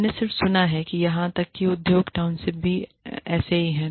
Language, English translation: Hindi, I have just heard, that even industry townships, are like that